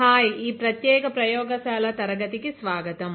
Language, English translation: Telugu, Hi, welcome to this particular lab class